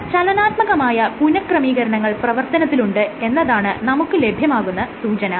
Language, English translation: Malayalam, Suggesting that there are some dynamic rearrangements which happen